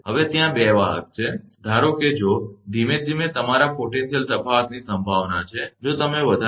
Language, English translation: Gujarati, Now, 2 conductors are there, if suppose potential the your difference gradually, if you increase right